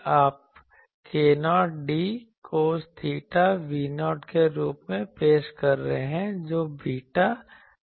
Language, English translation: Hindi, And v you are introducing as k 0 d cos theta v 0 is beta d